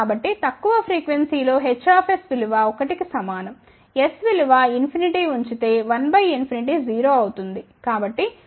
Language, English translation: Telugu, So, H s is 1 at low frequency put s equal to infinity 1 by infinity is 0